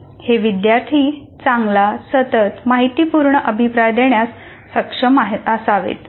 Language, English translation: Marathi, The students themselves should be able to give themselves a good continuous informative feedback